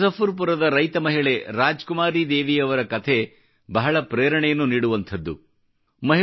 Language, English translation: Kannada, 'Farmer Aunty' of Muzaffarpur in Bihar, or Rajkumari Devi is very inspiring